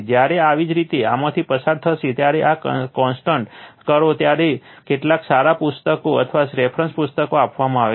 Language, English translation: Gujarati, When you will go through this also consult there is some good books or reference books are given right